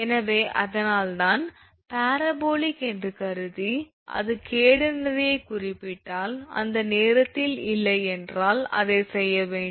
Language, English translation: Tamil, So, that is why assuming parabolic, if it is mentioned catenary, at that time you have to do that otherwise if it is not